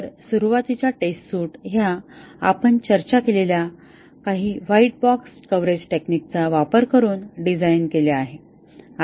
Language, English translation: Marathi, So, in initial test suite is designed using some white box coverage technique we discussed